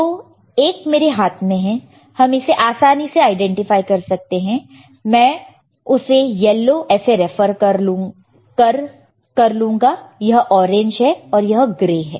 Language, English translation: Hindi, So, one is on my hand, and it is easy to identify I can refer like it is yellow, right this is orange and gray, right